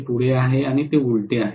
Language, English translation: Marathi, This is forward and this is reverse